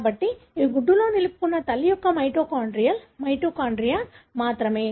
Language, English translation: Telugu, So, it is only the mitochondrial, mitochondria of the mother that is retained in the egg